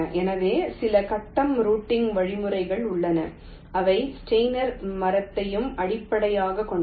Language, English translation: Tamil, so there are some grid routing algorithms which are also based on steiner tree